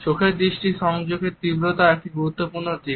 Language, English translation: Bengali, The intensity of gaze in eye contacts is also an important aspect